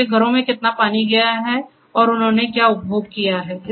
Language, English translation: Hindi, Because how much water has been passed to their homes and what consumption they have made